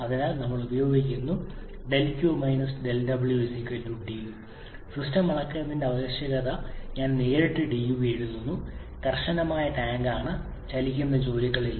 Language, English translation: Malayalam, So we are using del q del w=dU I am directly writing dU as a ned to measure my system is a rigid tank no moving boundary work